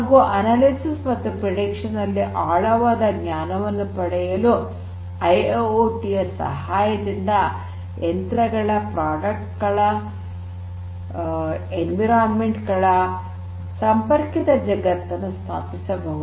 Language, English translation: Kannada, It is also possible to have deeper insights of analysis and prediction, establishing a connected world of machines, systems, products, environments with the help of IIoT